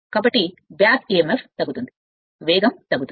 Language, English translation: Telugu, So, back Emf will decrease therefore, speed will decrease